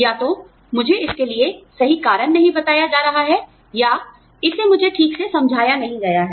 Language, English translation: Hindi, Either, i am not being told the right reason for it, or it has not been explained to me properly